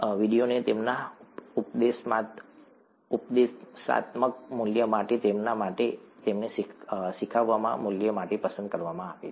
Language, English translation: Gujarati, The videos have been chosen for their didactic value, for their, for their value to teach